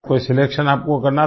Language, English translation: Hindi, Did you have to make any selection